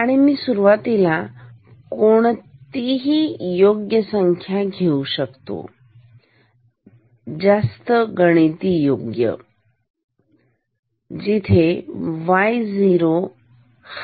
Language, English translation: Marathi, And, also I can put a starting value to be more precise, more mathematically precise, where y 0 is this y 0